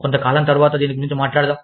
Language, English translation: Telugu, Let us talk about this, sometime later